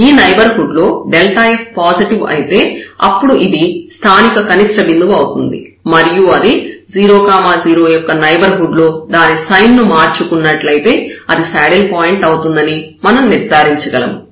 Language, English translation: Telugu, If this delta f is positive in the neighborhood then this is a point of local minimum naturally and if we changes sign in the neighborhood of this 0 0 point, then we will conclude that this is a saddle point